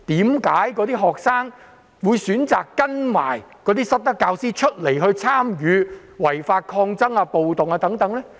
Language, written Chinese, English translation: Cantonese, 為何有些學生會選擇跟隨那些失德教師參與違法抗爭或暴動呢？, Why did some students follow those misbehaving teachers to participate in the illegal protests or riots?